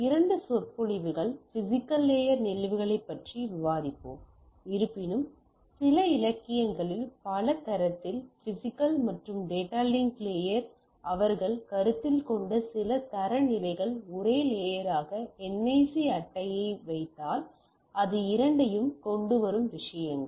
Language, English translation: Tamil, So, rather couple of lectures we will be discussing on physical layer phenomena though in some of the literature on in several standard some of the standards they considered physical and data link as a single layer like if you put the NIC card it comes with the both things